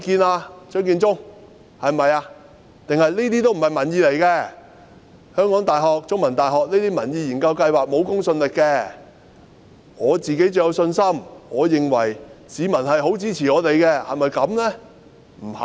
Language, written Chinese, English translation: Cantonese, 還是這些都不是民意，香港大學和中大的民意研究計劃都沒有公信力，政府對自己最有信心，認為市民十分支持政府，是不是這樣呢？, Or is it that these are not public opinions that the opinion polls of HKU and CUHK have no credibility and that the Government is most confident of itself thinking that the public support it very much? . Is this the case?